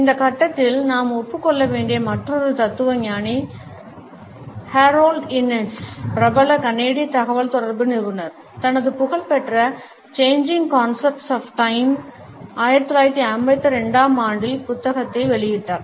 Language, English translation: Tamil, Another philosopher whom we have to acknowledge at this stage is Harold Innis, the famous Canadian communicologist who published his famous book Changing Concepts of Time in 1952